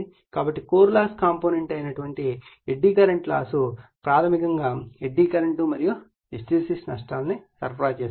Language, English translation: Telugu, So, eddy current loss that is core loss component basically is supplying eddy current and hysteresis losses